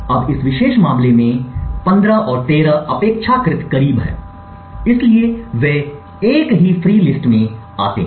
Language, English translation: Hindi, Now in this particular case 15 and 13 are relatively close, so they fall within the same free list